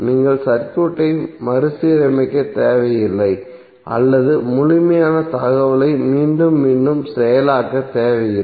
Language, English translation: Tamil, So you need not to rearrange the circuit or you need not to reprocess the complete information again and again